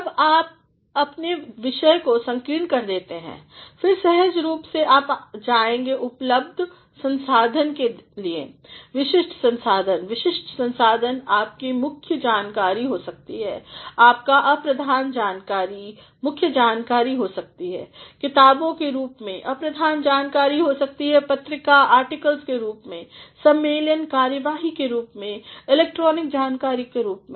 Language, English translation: Hindi, Once you narrow down your topic, then naturally you will go for the available resources, specific resources, specific resources can be your primary data, your secondary data, primary data, may be in the form of books, secondary data may be in the form of journal articles, may be in the form of conference proceedings, may be in the form of electronic data